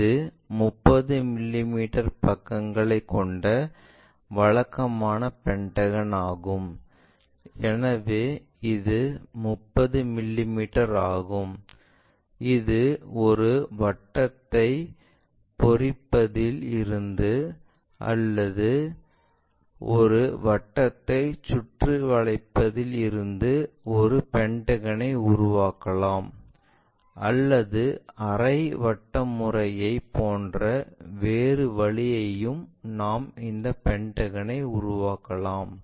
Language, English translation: Tamil, This is the typical pentagon it has 30 mm sides, so this one is 30 mm we know how to construct a pentagon from this inscribing a circle or circumscribing a circle or perhaps the other way like from semi circle method also we can construct this pentagon